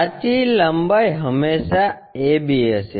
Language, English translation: Gujarati, The true length always be a b